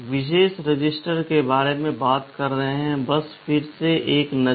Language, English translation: Hindi, Talking about the special register, just a relook again